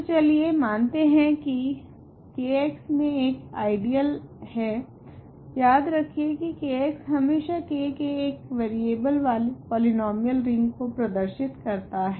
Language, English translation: Hindi, So, then every ideal in and let us consider let I be an ideal of K x remember K x always stands for the polynomial ring over K in one variable